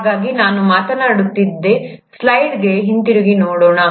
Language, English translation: Kannada, So let’s come back to the slide which I was talking about